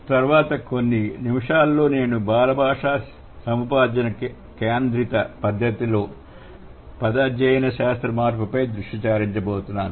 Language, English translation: Telugu, So, the next few minutes I'm going to focus on the semantic change at the child language acquisition centric manner